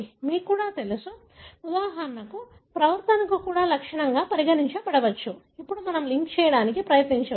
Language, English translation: Telugu, You know you can even, for example even behaviour can be considered as a trait; then we can try to link